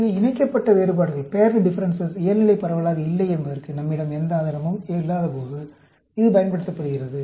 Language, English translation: Tamil, So, this is used when we have no evidence that the paired differences are not normally distributed